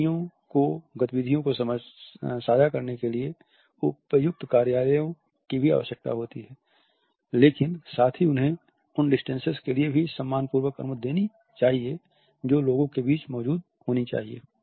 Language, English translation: Hindi, Companies also require suitable offices for sharing activities, but at the same time they have to allow the respect for distances which should exist between people